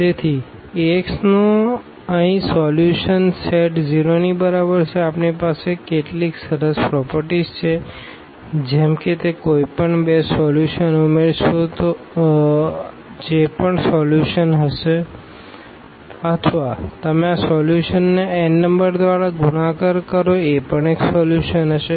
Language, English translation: Gujarati, So, this solution set here of Ax is equal to 0, has some nice properties like you add any two solution that will be also solution or you multiply by n number to this solution that will be also a solution